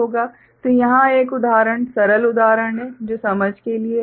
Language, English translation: Hindi, So, here is an example simple example for the sake of understanding